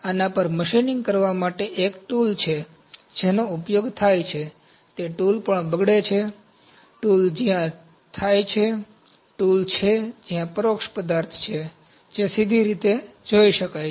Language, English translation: Gujarati, There is tool that is used to make do machining on this that tool is also deteriorative, tool where happens, tool where is the indirect material that can be see directly